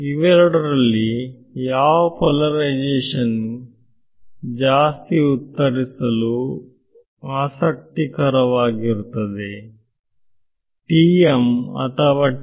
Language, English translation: Kannada, So, which of the two polarizations will be more interesting to answer this question TM or TE